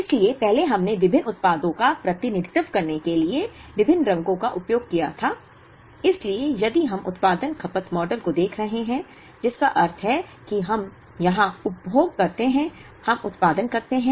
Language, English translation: Hindi, So, earlier we had used different colors to represent different products, so if we are looking at the production consumption model, which means we consume where we produce